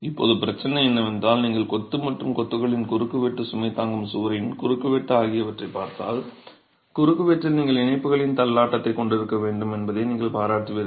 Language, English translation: Tamil, Now the problem is if you were to look at the cross section of the masonry and the cross section of the masonry, the load bearing wall, you will appreciate that in the cross section you must have the stagger of the joints